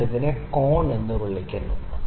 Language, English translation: Malayalam, I call this angle as alpha